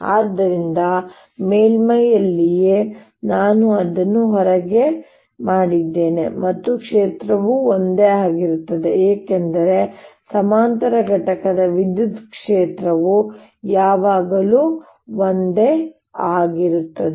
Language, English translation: Kannada, just inside also the field would be the same, because parallel component electric field is always the same